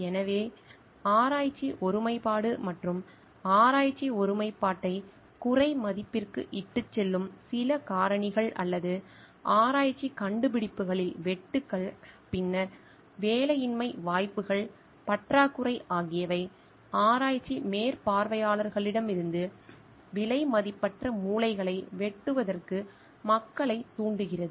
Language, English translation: Tamil, So, some of the factors which may lead to research integrity and undermining the research integrity or like cutbacks in research findings, then shortages of jobless opportunities which forces people to cut corners precious to perform from research supervisors